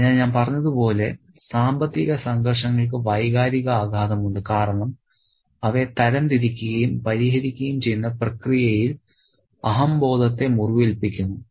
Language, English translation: Malayalam, So, as I said, financial conflicts have emotional impact because in the process of sorting and settling them, egos are hurt